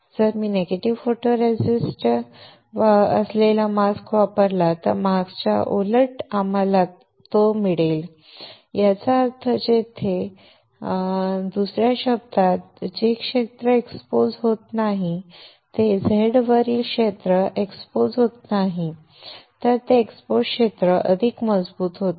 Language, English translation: Marathi, If I use a mask with a negative photoresist then the opposite of that of the mask we will get it; that means, here if in another terms the area which is not exposed you see the area on the Z is not exposed that on exposed area gets stronger